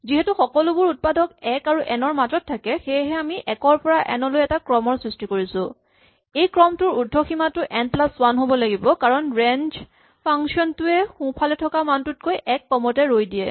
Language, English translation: Assamese, And now keeping in mind that all the factors lie between 1 and n, we generate in sequence all the numbers from 1 to n, and remember this requires the upper bound of the range to be n plus 1, because the range function stops one below the number which is the right hand side